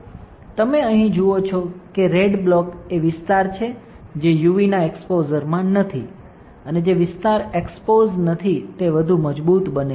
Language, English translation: Gujarati, You see here the red blocks are the area which is not exposed to UV, and the area which is not exposed becomes stronger